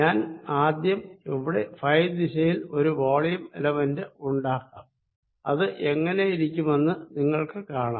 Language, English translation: Malayalam, let me first make one volume element and you will see what it looks like here in phi direction